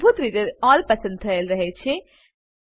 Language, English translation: Gujarati, By default All is selected